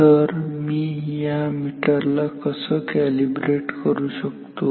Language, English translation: Marathi, So, say how should I calibrate this meter